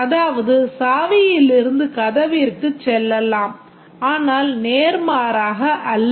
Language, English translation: Tamil, It is navigable from key to door but not the vice versa